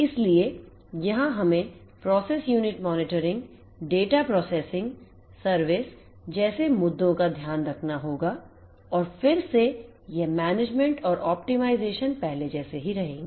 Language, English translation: Hindi, So, here we have to take care of issues such as process unit monitoring, data processing service and again this management and optimization stays the same like the ones before